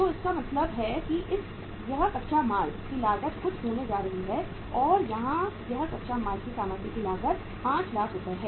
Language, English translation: Hindi, So it means this is going to be something going to be the cost of raw material and here it is the cost of raw material is Rs 5 lakh